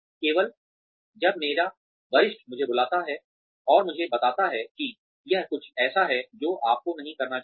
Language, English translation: Hindi, Only, when my superior calls me, and tells me that, this is something, you should not be doing